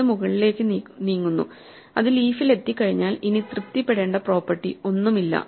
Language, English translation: Malayalam, So, the larger one moves up and once it reaches the leaf there are no properties to be satisfied anymore